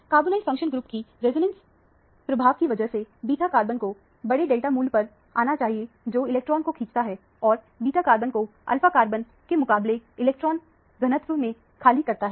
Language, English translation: Hindi, The beta carbon should come at a higher delta value because of the resonance effect of the carbonyl functional group, which withdraws the electron and makes the beta carbon as depleted in electron density relative to the alpha carbon